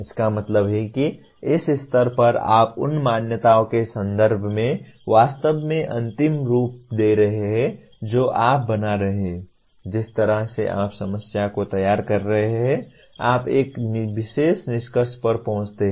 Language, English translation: Hindi, That means at this stage you are really finalizing in terms of the assumptions that you are making, the way you are formulating the problem, you reach a particular conclusion